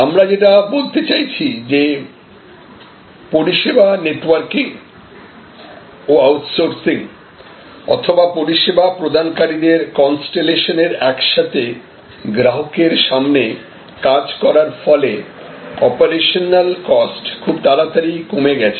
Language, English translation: Bengali, So, what we are saying is that the service networking and outsourcing or constellation of service providers together working in front of the customer has lead to rapid reduction of operational costs